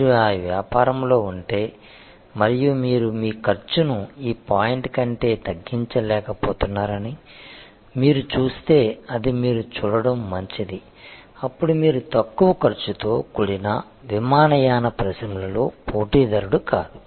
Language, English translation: Telugu, If you are in that business and you see that you are unable to reduce your cost below this point, then it is better for you to see that may be then you are no longer a player in the low cost airlines industry